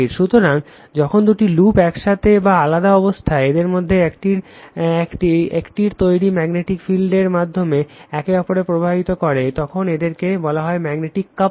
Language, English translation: Bengali, So, when two loops with or without contact between them affect each other through the magnetic field generated by one of them, they are said to be magnetically coupled right